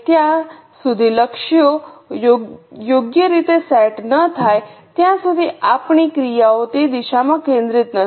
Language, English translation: Gujarati, Because as long as the goals are not set correctly, our actions are not focused in that direction